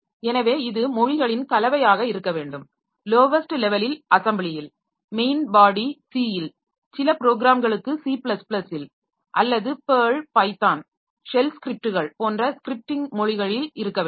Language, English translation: Tamil, So, ideally it should be a mix of the languages for the lowest levels in assembly main body in C and some programs in C++ or scripting language like PURL, Python, shell scripts etc